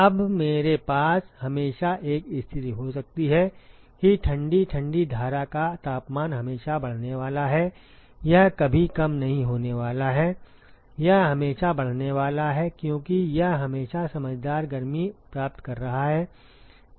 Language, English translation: Hindi, Now, I can always have a situation the cold the temperature of the cold stream is always going to increase right it is never going to decrease, it is always going to increase because it is always gaining sensible heat